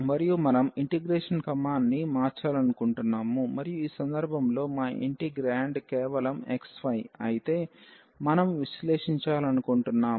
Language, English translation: Telugu, And we want to change the order of integration and then we want to evaluate though in this case our integrand is just xy